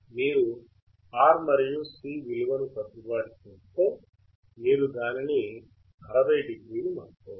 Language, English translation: Telugu, If you adjust the value of R and C, you can get change it to 60o